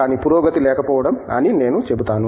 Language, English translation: Telugu, But, I will tell lack of progress Ok